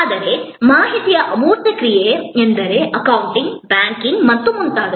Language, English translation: Kannada, But, an information intangible action means like accounting, banking and so on